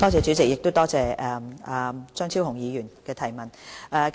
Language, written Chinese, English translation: Cantonese, 主席，多謝張超雄議員提出的補充質詢。, President I thank Dr Fernando CHEUNG for his supplementary question